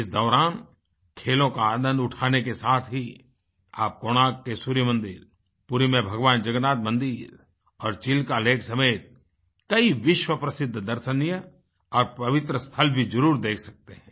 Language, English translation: Hindi, They can visit the world famous holy places like the Sun Temple of Konark, Lord Jagannath Temple in Puri and Chilka Lake along with enjoying the games there